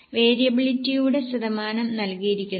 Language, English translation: Malayalam, Percentage of variability has been given